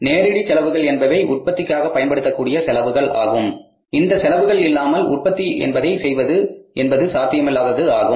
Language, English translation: Tamil, Means direct expenses are those expenses without which the production you can't think of, production is not possible